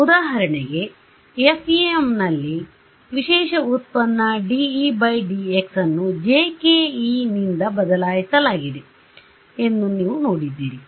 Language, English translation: Kannada, Then you saw that for example, in your FEM the special derivative dE by dx was replaced by jkE